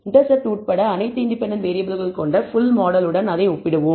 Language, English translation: Tamil, And compare it with the full model which contains all of the independent variables including the intercept